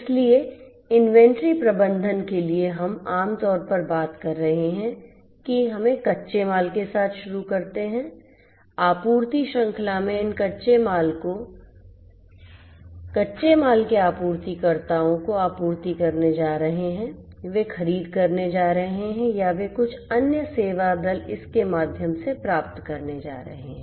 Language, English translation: Hindi, So, for inventory management we are typically talking about let us say first starting with raw materials, these raw materials in the supply chain are going to be supplied to the raw materials suppliers, they are going to procure or they are going to get it through some other service party